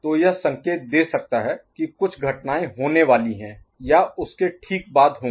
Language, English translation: Hindi, So, that could indicate that certain events are to follow or just after that, ok